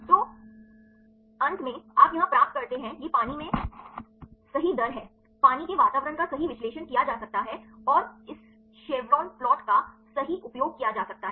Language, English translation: Hindi, So, finally, you get here this is the unfolding rate right in water, water environment right this can be analyzed using this chevron plot right